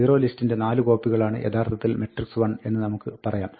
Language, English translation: Malayalam, We say that the actual matrix l has 4 copies of zerolist